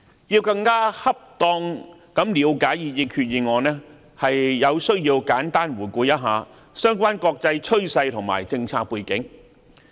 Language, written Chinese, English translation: Cantonese, 要更恰當地了解擬議決議案，有需要簡單回顧相關國際趨勢和政策背景。, To gain a more proper understanding of the proposed Resolution it is necessary to take a glimpse of the relevant international trend and policy backgrounds